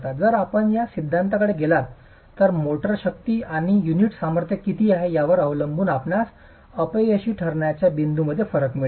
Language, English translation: Marathi, If you go by this theory depending on what the motor strength and the unit strengths are, you will get a disparity between the points of failure